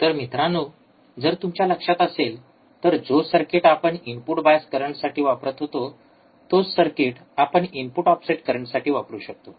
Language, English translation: Marathi, So, again you if you if you guys remember, the circuit for the input bias current is the same circuit we can have for input offset current